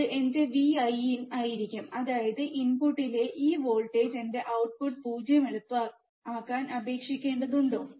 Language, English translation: Malayalam, That will be my V in; that means, this much voltage at the input I have to apply to make my output 0, easy right